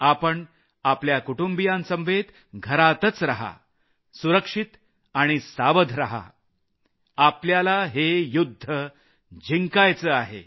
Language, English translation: Marathi, Stay at home with your family, be careful and safe, we need to win this battle